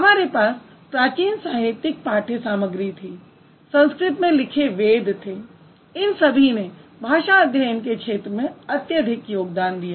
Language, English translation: Hindi, We had this ancient literary text, the Vedas, and they which was like which were written in Sanskrit, they contributed immensely to the field of language study